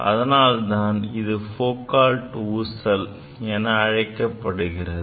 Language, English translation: Tamil, So, that is why this is called Foucault pendulum